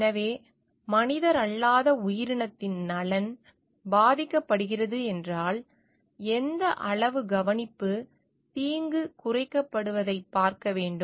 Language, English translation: Tamil, So, if the interest of the non human entity is suffering, then what extent of care we need to take to see that a harm is minimized